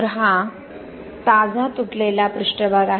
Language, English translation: Marathi, So this is the freshly broken surface